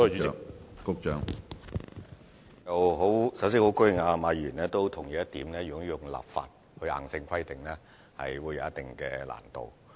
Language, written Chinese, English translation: Cantonese, 首先，我十分高興馬議員也同意，如果採用立法方式作硬性規定，是會有一定難度的。, First I am very pleased to note that Mr MA also agrees that there will be some difficulty if rigid provisions are to be laid down by way of legislation